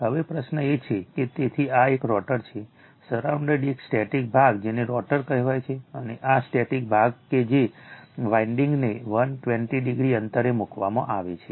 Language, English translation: Gujarati, Now, question is that so this is a rotor, surrounded by a static part called rotor and this static part that winding are placed 120 degree apart right